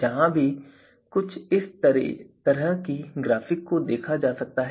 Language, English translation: Hindi, So, here also a similar kind of graphic we can see here